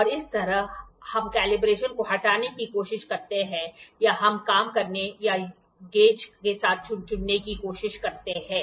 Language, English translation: Hindi, And this is how is the calibration we try to remove or we try to work or to choose with the gauges